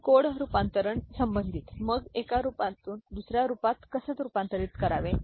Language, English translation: Marathi, And regarding code conversion; so how to convert from one form to another